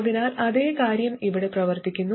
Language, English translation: Malayalam, So exactly the same thing works here